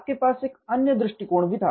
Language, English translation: Hindi, You also had another approach